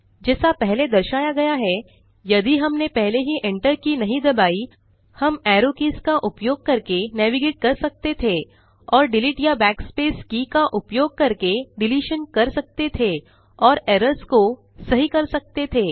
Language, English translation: Hindi, As already shown, if we havent hit the enter key already, we could navigate using the arrow keys and make deletions using delete or backspace key and correct the errors